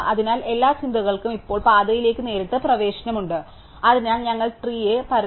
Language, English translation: Malayalam, So, every think now has a directed access to the path, so we have flattening the tree